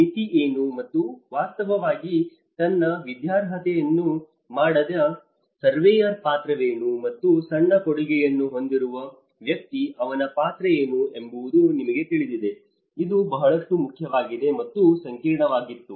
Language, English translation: Kannada, What is the limitation and what actually the surveyor who have done his qualification and what is his role and a person who has a smallest contribution what is his role, you know this matters a lot, this was a complexity